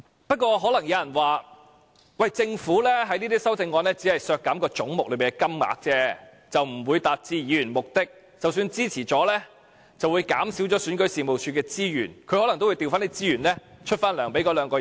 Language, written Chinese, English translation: Cantonese, 不過，可能有人會說，政府在這些修正案中只會削減總目內的金額，而不會達致議員的目的，即使支持了，亦只會減少選舉事務處的資源，選舉事務處可能亦會調撥資源，繼續發放薪酬予二人。, Perhaps some people may say that these amendments which seek to cut different amounts of money under the corresponding heads cannot achieve the purpose the movers intend to achieve and that even if they support this amendment it will only cut the resources of REO and REO can redeploy its resources to pay emoluments to the two officials